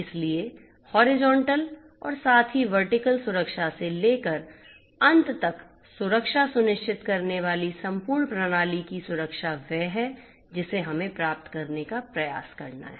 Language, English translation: Hindi, So, security of the whole system comprising of horizontal as well as vertical security ensuring end to end security is what we have to strive to achieve